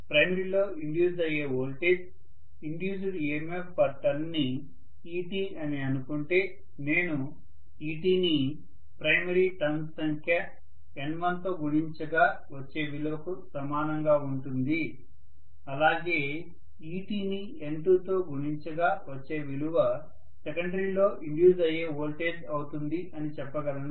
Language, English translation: Telugu, Will be equal to, if I say this is ET that is voltage induced per turn I can just say this is ET multiplied by N1 were N1 is the number of turns in the primary, so I should be able to say ET multiplied by N2 will be the amount of voltage induced in the secondary